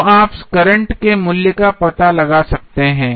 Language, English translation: Hindi, So, you can find out the value of current Is